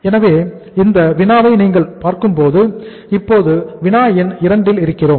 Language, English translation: Tamil, So if you look at his problem which is uh we are we are now at the problem number 2